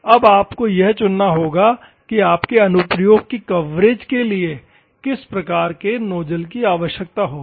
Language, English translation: Hindi, Now, you have to choose which type of nozzle you required for coverage for your application